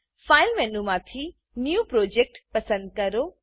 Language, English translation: Gujarati, From the File menu, choose New Project